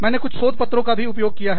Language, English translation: Hindi, And, I have used a few research papers